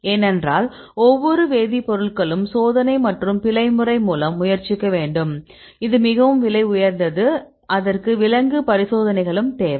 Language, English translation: Tamil, Because every chemicals, we need to try by trial and error method and it is very expensive then it also require the animal tests right